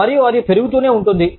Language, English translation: Telugu, And, that just keeps on growing